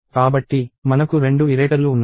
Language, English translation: Telugu, So, we have two iterators